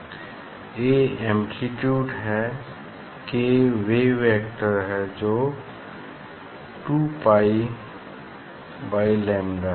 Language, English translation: Hindi, A is the amplitude, and k is the wave vector 2 pi by lambda